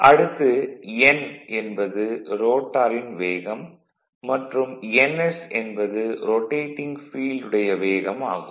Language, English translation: Tamil, And n is that speed of the your what you call that your rotating field